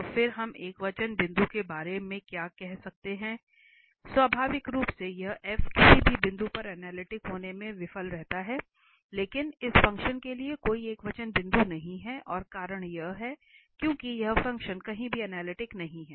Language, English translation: Hindi, So, then what we can say about the singular point, so naturally this f fails to be analytic at any point but there is no singular point for this function and the reason is, because this function is nowhere analytic, nowhere analytic